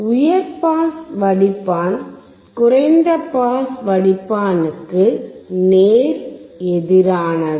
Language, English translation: Tamil, High pass filter is exact opposite of low pass filter